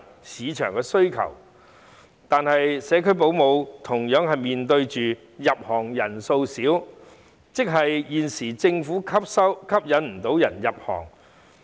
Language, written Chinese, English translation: Cantonese, 市場有需求，但社區保姆同樣面對入行人數少的問題，即現時政府未能吸引人入行。, There is demand for home - based child carers in the market but this occupation also faces the problem of shortage of entrants as the Government has failed to attract new entrants